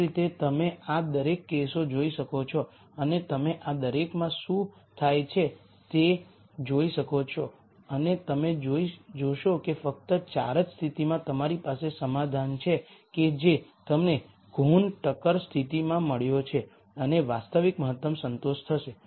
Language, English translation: Gujarati, Similarly you can look at each of these cases and you can see what happens in each of these and you will notice that only in case 4 will you have the solution that you got from the Kuhn Tucker condition and the actual optimum being satisfied